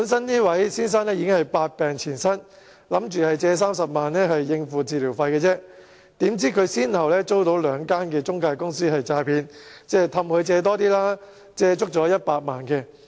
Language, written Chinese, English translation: Cantonese, 這位先生本身百病纏身，打算借貸30萬元應付治療費，豈料他先後遭兩間中介公司詐騙，哄他借貸更多錢，借了100萬元。, This gentleman was in ill health and intended to borrow 300,000 to meet his treatment costs . It turned out that he was deceived by two intermediaries successively which lured him into borrowing more money and he ended up borrowing 1 million